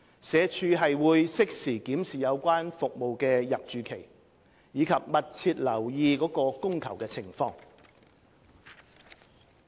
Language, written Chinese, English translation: Cantonese, 社署會適時檢視有關服務的入住期，以及密切留意其供求情況。, SWD will duly review the duration of stay in hostels and closely keep in view the supply and demand of the service